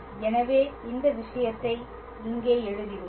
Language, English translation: Tamil, So, this we can always write